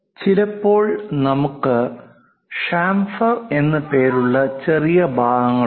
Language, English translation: Malayalam, Sometimes, we have small portions named chamfers